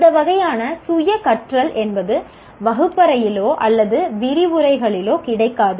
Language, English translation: Tamil, Because we are not, this kind of self learning, you are not sitting in a classroom and attending lectures